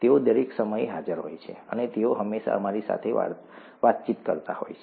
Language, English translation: Gujarati, They are present all the time, and they are interacting with us all the time